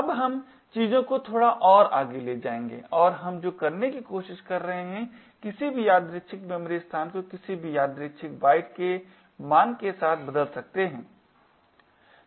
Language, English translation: Hindi, Now we will take things a bit more further and what we are trying to do is change any arbitrary memory location with any arbitrary byte value